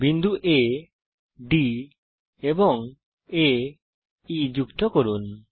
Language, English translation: Bengali, Join points B, D and B , E